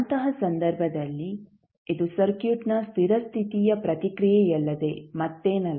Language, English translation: Kannada, In that case this would be nothing but steady state response of the circuit